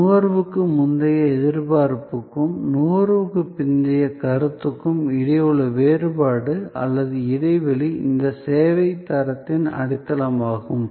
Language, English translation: Tamil, So, this difference between the or the gap between the pre consumption expectation and post consumption perception is the foundation of service quality